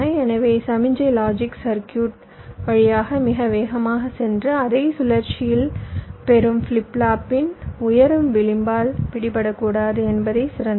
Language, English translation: Tamil, so the ideal is that signal should not go through the logic circuit too fast and get captured by the rising edge of the receiving flip flop of the same cycle